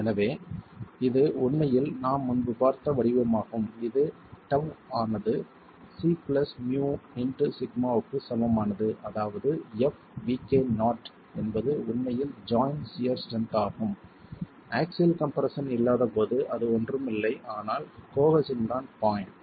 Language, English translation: Tamil, So this is really of the form that we have seen earlier, tau is equal to c plus mu into sigma, which means fv k not is really the shear strength of the joint when there is no axial compression, which is nothing but cohesion itself, the bond